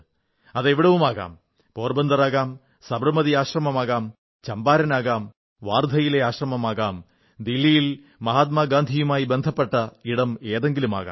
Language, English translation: Malayalam, It could be any site… such as Porbandar, Sabarmati Ashram, Champaran, the Ashram at Wardha or spots in Delhi related to Mahatma Gandhi